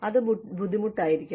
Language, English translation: Malayalam, So, you know, it can be difficult